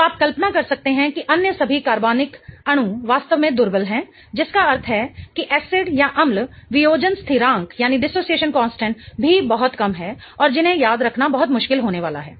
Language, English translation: Hindi, So, you can imagine all the other organic molecules are going to be really, really weak, meaning their acid dissociation constants are also going to be very, very low and which are going to be very difficult to remember